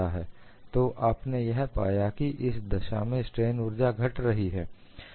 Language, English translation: Hindi, So, what is the change in strain energy